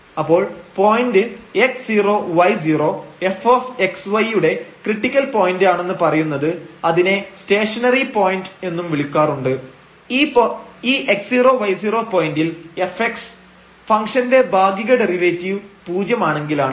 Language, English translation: Malayalam, So, the point x 0 y 0 is called critical point or we also call like a stationary point of f x y if the partial derivative of the function f x at this x 0 y 0 point is 0 and f the partial derivative of the function f y at that point x 0 y 0 is 0 or simply they fail to exists